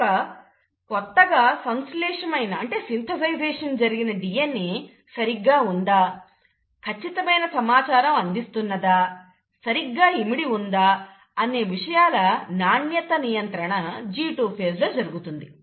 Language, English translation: Telugu, So a quality control exercise to make sure that all that newly synthesized DNA is intact, consists of correct information, is packaged correctly happens in the G2 phase